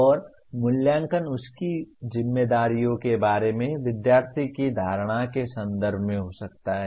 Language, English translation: Hindi, And assessment could be in terms of the student’s perception of his responsibilities